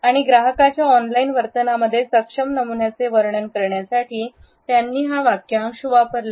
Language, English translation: Marathi, And he used this phrase to describe track able patterns in online behaviour of customers